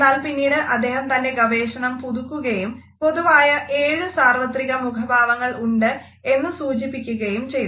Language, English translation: Malayalam, However, later on he revised his previous research and suggested that there are seven common universal facial expressions